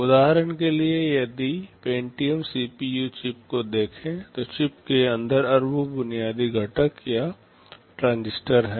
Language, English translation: Hindi, For example, if we look at the Pentium CPU chip there are close to billions of basic components or transistors inside the chip